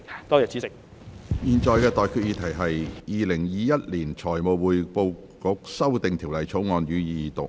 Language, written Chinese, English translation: Cantonese, 我現在向各位提出的待決議題是：《2021年財務匯報局條例草案》，予以二讀。, I now put the question to you and that is That the Financial Reporting Council Amendment Bill 2021 be read the Second time